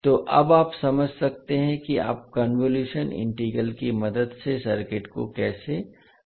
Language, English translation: Hindi, So now you can understand how you can solve the circuits with the help of convolution integral